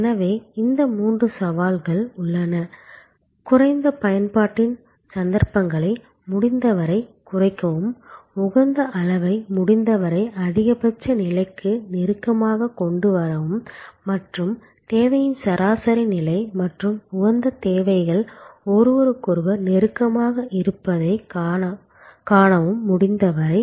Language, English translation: Tamil, So, there are these three challenges, reduce the occasions of low utilization as much as possible, bring the optimum level as close to the maximum level as possible and see that the average level of demand and optimal level of demand are as close to each other as possible